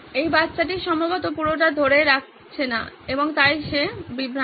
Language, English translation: Bengali, This kid is probably not retaining a whole lot and hence he is distracted